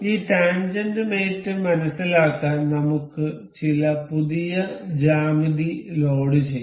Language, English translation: Malayalam, Let us load some new geometry to understand this tangent mate